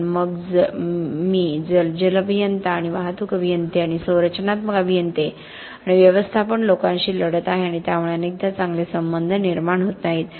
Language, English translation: Marathi, But then I am fighting with the water engineers and the traffic engineers and the structural engineers and the management guys and that often does not lead to the best relationships